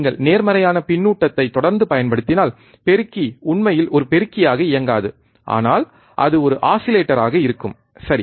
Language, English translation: Tamil, If you keep on applying positive feedback, the amplifier will not really work as an amplifier, but it will be an oscillator, right